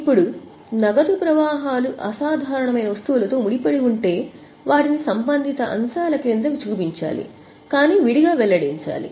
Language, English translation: Telugu, Now if the cash flows are associated with extraordinary items, they should be shown under the respective heads but to be separately disclosed